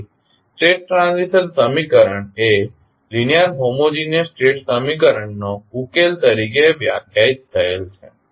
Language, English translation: Gujarati, So, the state transition equation is define as the solution of linear homogeneous state equation